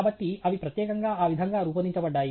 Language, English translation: Telugu, So, they are specifically designed that way